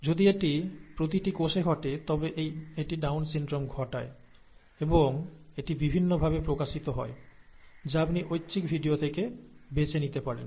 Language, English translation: Bengali, If that happens, this happens in each cell, if that happens, it results in Down syndrome, and it manifests in different ways that you can pick up from the video that was recommended, that was suggested, it is an optional video